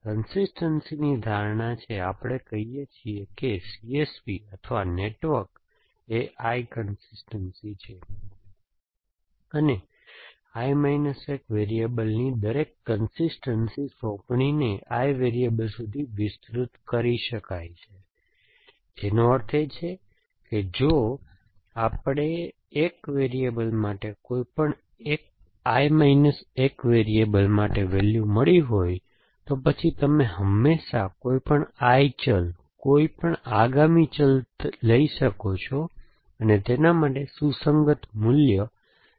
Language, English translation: Gujarati, We are, this notion of I consistency, so we say that a C S P or a network is I consistence, if every consistence assignment to I minus 1 variables can be extended to I variable which means that, if we have found values for I minus for 1 variables any I minus variables